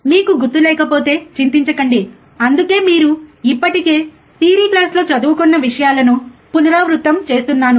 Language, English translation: Telugu, Ah if you do not remember do not worry that is why I am kind of repeating the things that you have already been studying in the theory class